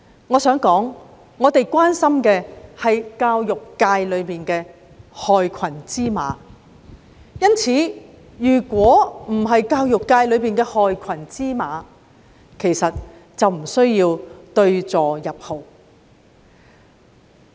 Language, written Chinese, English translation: Cantonese, 我想指出，我們關心的是教育界的害群之馬；如果教育界沒有害群之馬，根本無須對號入座。, I would like to highlight our concern about the black sheep in the education sector . Had there not been black sheep in the education sector it would be absolutely unnecessary for teachers to fit themselves into the picture